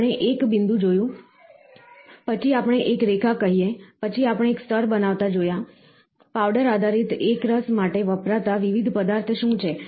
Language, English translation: Gujarati, So, we saw a spot, then we say a line, then we saw a layer making, what are the different materials used for powder based fusion